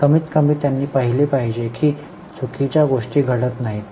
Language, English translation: Marathi, At least they should see that wrong things don't happen